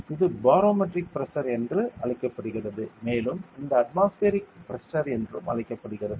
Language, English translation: Tamil, This is called as barometric pressure so it is right it is also known as atmospheric pressure